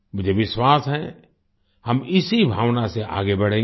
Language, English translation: Hindi, I am sure we will move forward with the same spirit